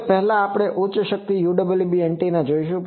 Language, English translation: Gujarati, Now, first we will see the high power UWB antennas